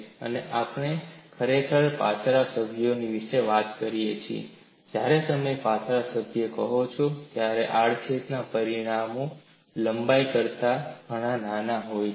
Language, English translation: Gujarati, We are really talking about slender members, when you say slender member, the cross sectional dimensions are much smaller than the length